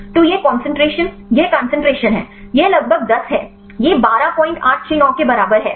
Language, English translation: Hindi, So, this concentration this is the concentration this is about this is 10, this is equal to 12